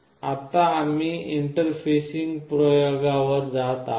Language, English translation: Marathi, Now we will be going to the interfacing experiments